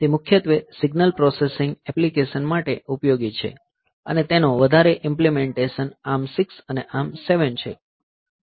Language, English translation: Gujarati, So, that is useful for mainly for the signal processing applications, and the very implementations are ARM 6, ARM 7